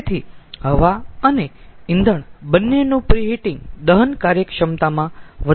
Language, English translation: Gujarati, so both preheating of air and preheating of fuel oil, that will increase the combustion efficiency